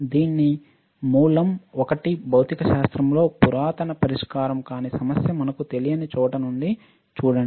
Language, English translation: Telugu, Its origin is one of the oldest unsolved problem in physics see from where it originates we do not know